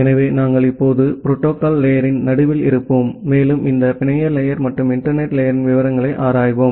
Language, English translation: Tamil, So, we’ll now at the middle of the protocol stack and we will look into the details of this network layer and the internet layer